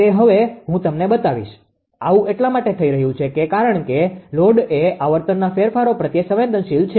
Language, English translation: Gujarati, This is happening I will show you now; this is happening because of your that load is is your sensitive to the changes in frequency